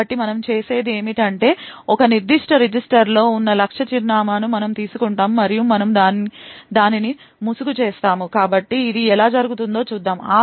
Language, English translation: Telugu, So what we do is we take the target address which is present in a particular register and we mask it, so let us see how this is done